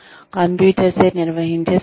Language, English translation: Telugu, Computer managed instruction